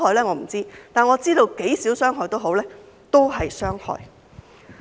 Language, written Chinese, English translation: Cantonese, 我不知道，但我知道傷害再少也好，都是傷害。, I have no idea but I know that no matter how slight the harm is it is still harmful after all